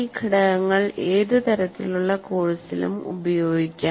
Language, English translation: Malayalam, That means these components can be used in any type of course